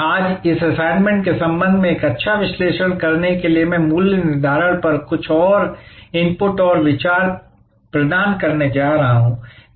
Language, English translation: Hindi, Today, to enable a good analysis with respect to this assignment, I am going to provide some more inputs and thoughts on pricing